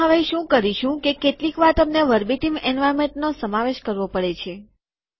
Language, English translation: Gujarati, Now what we will do is, sometimes you have to include Verbatim environment